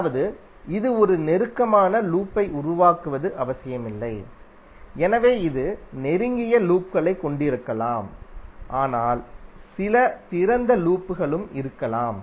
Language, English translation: Tamil, That means that it is not necessary that it will create a close loop, So it can have the close loops but there may be some open loops also